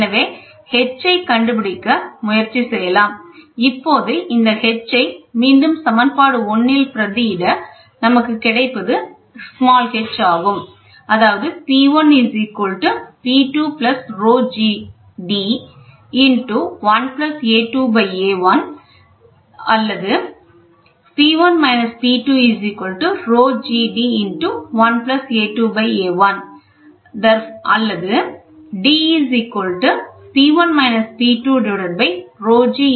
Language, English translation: Tamil, So, we can try to find out h, now substituting this h back into this equation 1, what we get is to substituting h